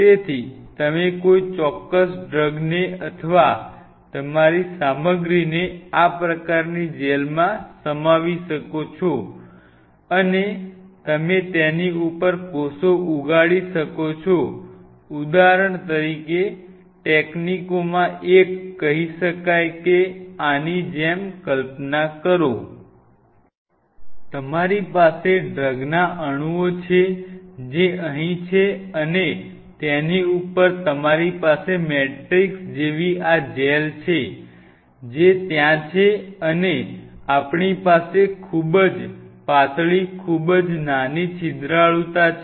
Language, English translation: Gujarati, So, you can encapsulate your material or that a specific drug in this kind of gel and you can grow the cells on top of it say for example, one of the techniques could be say just imagine like this So, you have the drug molecules which are here and on top of that you have this gel like matrix, which are there and we had a very thin very small porosity very slowly releasing situation you can control say the porosity out here